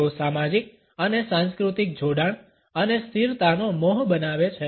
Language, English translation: Gujarati, They create an illusion of social and cultural affiliation and stability